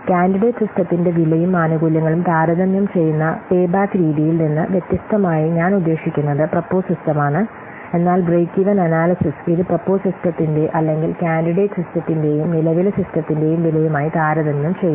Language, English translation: Malayalam, So, unlike the payback method which compares the cost and benefits of the candidate system, even the proposed system, but Breckyvin analysis, it compares what the cost of the proposed system or the candidate system and the current system